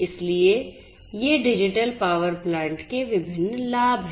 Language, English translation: Hindi, So, these are these different benefits of digital power plants